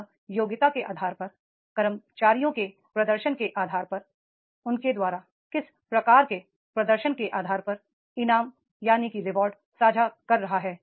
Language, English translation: Hindi, He is sharing the rewards on the basis of the competency, on the basis of merit, on the basis of the performance of the employees prior to this what type of performance they have done